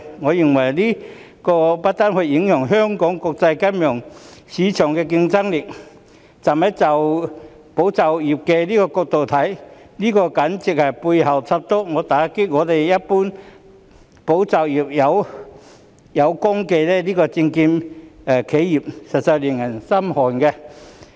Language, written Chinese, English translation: Cantonese, 我認為這不單會影響香港在國際金融市場的競爭力，站在"保就業"的角度來看，這簡直是背後捅刀，打擊一群"保就業"有功的證券企業，實在令人心寒。, In my view this will not only affect Hong Kongs competitiveness in the international financial market . From the perspective of safeguarding jobs this is simply a stab in the back dealing a blow to a group of securities enterprises which have been instrumental in safeguarding jobs . It is indeed disenchanting